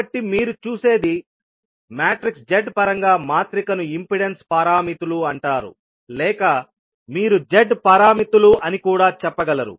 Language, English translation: Telugu, So, what you see the matrix in terms of Z is called impedance parameters or you can also say the Z parameters